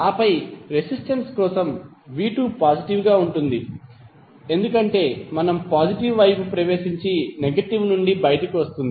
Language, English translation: Telugu, And then for the resistance, v¬2¬ is positive because we are entering into the positive side and coming out of negative